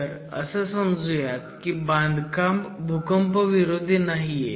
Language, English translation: Marathi, We are talking about earthquake resistance